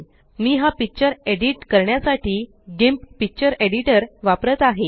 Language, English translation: Marathi, I am using the picture editor GIMP to edit this picture